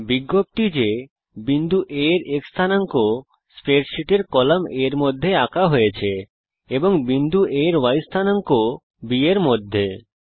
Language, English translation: Bengali, Notice the X coordinate of point A is traced in column A of the spreadsheet, and the Y coordinate of point A in column B